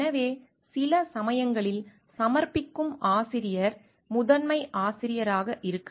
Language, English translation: Tamil, So, sometimes what happen submitting author is the lead author